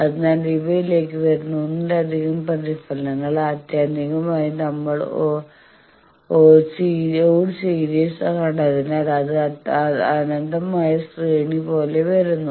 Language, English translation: Malayalam, So, multiple reflections that come to these ultimately again it comes like a infinite series as we have seen odd series